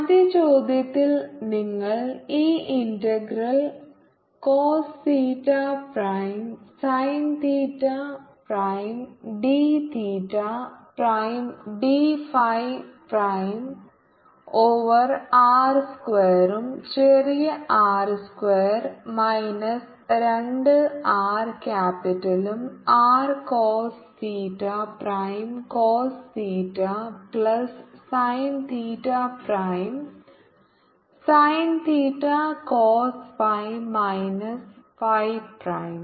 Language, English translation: Malayalam, so if we write the value of mode r minus vector r, we can see the integral sin theta prime cos theta prime d theta prime d phi prime over r square plus capital r square minus two r capital r cos theta cos theta plus theta prime sin theta cos phi minus phi